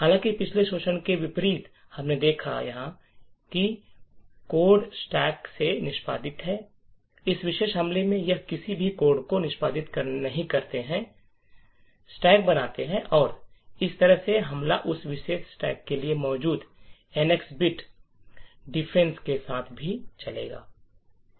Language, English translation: Hindi, However unlike the previous exploit that we have seen where code is executed from the stack in this particular attack we do not execute any code form the stack and in this way the attack would run even with the NX bit defense that is present for that particular stack